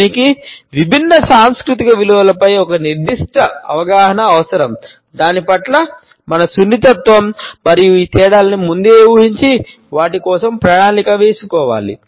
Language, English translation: Telugu, It requires a certain awareness of different cultural values, our sensitivity towards it and an empathetic planning to foresee these differences and plan for them